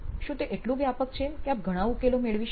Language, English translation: Gujarati, Is it broad enough that you can get many solutions